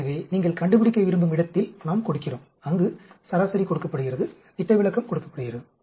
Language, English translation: Tamil, So, we give at which where you want to find, where the mean is given, standard deviation is given